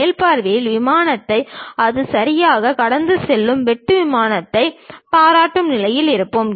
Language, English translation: Tamil, In top view we will be in a position to appreciate the plane, the cut plane where exactly it is passing